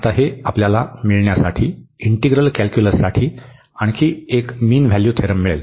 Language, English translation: Marathi, So, having this now we get another mean value theorem for integral calculus